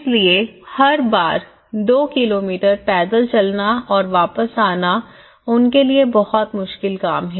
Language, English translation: Hindi, So, every time walking two kilometres and coming back is a very difficult task for them